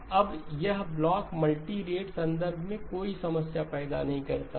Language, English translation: Hindi, Now this block does not cause any problems in a multirate context